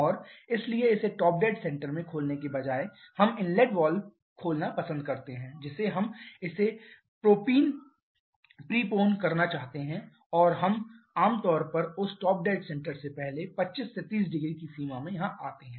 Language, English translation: Hindi, And therefore instead of opening it at the top dead center we prefer opening the inlet valve we want to prepone this and we generally come somewhere here